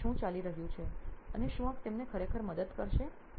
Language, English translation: Gujarati, So what is going on here and will this actually help them with that